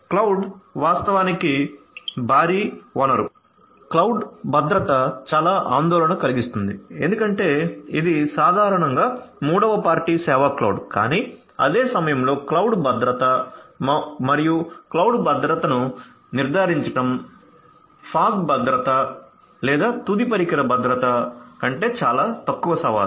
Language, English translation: Telugu, Cloud actually is the you know huge resource so cloud security is of huge concern because it’s typically a third party kind of service cloud, but at the same time you know cloud security and ensuring cloud security is of a lesser challenge than the form security or the n device security